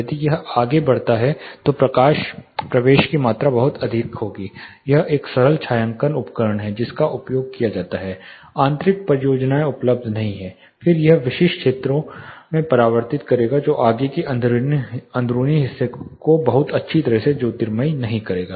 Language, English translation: Hindi, If it extends further the amount of light penetration will be much higher where as if your closing it up to this it is a simple shading device which is only used the interior projects is not available then, it will only reflect to specific areas the further interiors will not be lit very well